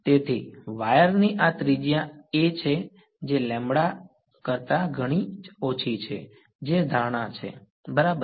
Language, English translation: Gujarati, So, this radius of wire is equal to a which is much much less than lambda that is the assumption ok